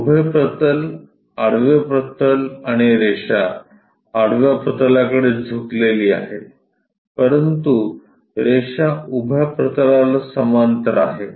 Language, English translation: Marathi, Vertical plane, horizontal plane and line is inclined to horizontal plane, but it is parallel to vertical plane